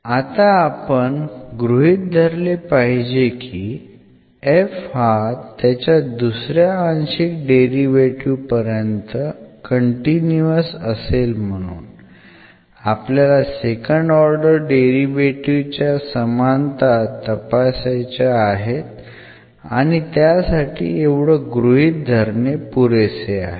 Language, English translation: Marathi, So, now we need to assume that this f to be continuous up to second order partial derivatives because we want to assume the equality of the second order derivatives and for that this is sufficient to assume that f is continuous up to second order derivative